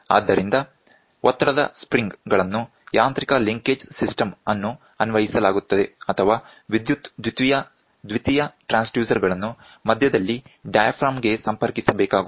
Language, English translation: Kannada, So, you can see pressure springs are applied mechanical linkage system, or an electrical secondary transducer need to be connected to the diaphragm at the center